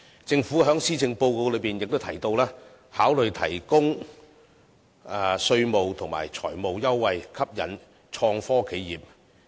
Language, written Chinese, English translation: Cantonese, 政府在施政報告亦提到考慮提供稅務及財務優惠，吸引創科企業。, In the Policy Address the Government also mentions offering tax and financial concessions to attract innovation and technology enterprises